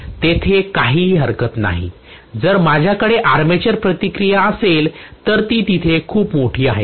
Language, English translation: Marathi, There is no problem but if I have armature reaction, which is very much there